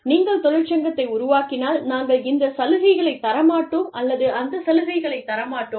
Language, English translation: Tamil, If you form a union, we will not give you this benefit, or that benefit, if you form a union